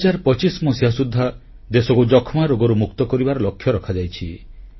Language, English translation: Odia, A target has been fixed to make the country TBfree by 2025